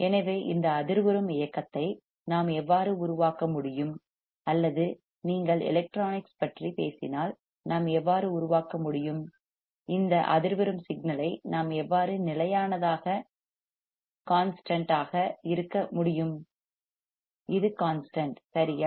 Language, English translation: Tamil, So, how we can generate this vibrating motion or how we can generate if you talk about electronics, how we can generate this vibrating signal right with the which is constant, which is constant right